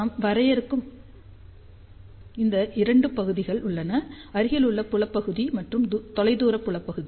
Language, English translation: Tamil, So, there are two regions we define near field region and far field region